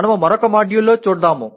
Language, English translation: Telugu, That we may do in another module